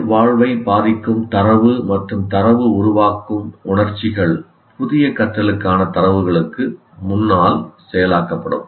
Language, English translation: Tamil, And data affecting the survival and data generating emotions are processed ahead of data for new learning